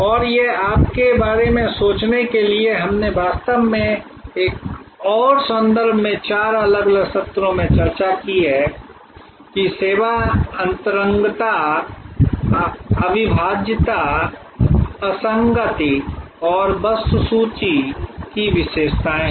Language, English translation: Hindi, And this other one for you to think about we have discussed this actually in another context earlier in over four different sessions, that these are the characteristics of service intangibility in separability, inconsistency and inventory